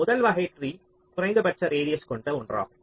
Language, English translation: Tamil, so the first kind of tree is one which has minimum radius